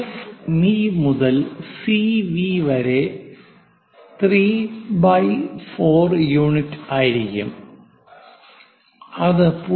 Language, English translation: Malayalam, So, that F V to C V will be 3 by 4 units which is 0